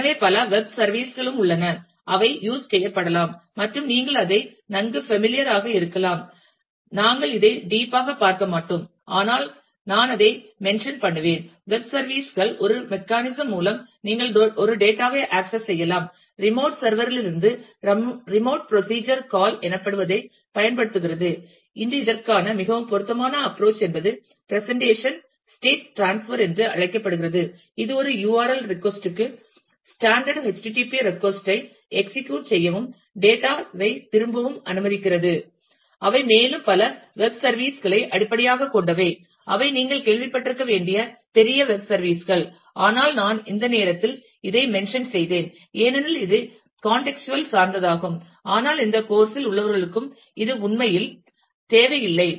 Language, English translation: Tamil, So, there are also several web services, that can be used and a you may be getting familiar with that, we will not go deep into this, but I will just mention that, web services a mechanism through which, you can access a data from remote server using what is known as a remote procedure call, and today very common approach for this is called rest representation state transfer, which allow standard HTTP request to a URL to execute a request and return data, and a several of the web services are based on that, and are the are big web services which you must have heard of, but I just mentioned it at this point because it is contextual, but we will not get into those in this course really